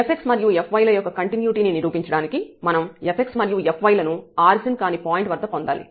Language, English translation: Telugu, To prove the continuity of f x and f y, we need to get the f x and f y at non origin point